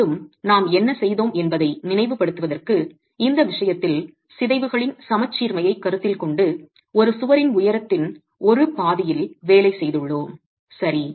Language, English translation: Tamil, Again to recall what we have done we have actually in this case considering the symmetry of deformations been working on one half of the height of the wall